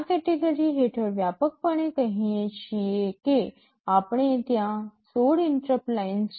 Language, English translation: Gujarati, Under this category broadly speaking we say that there are 16 interrupt lines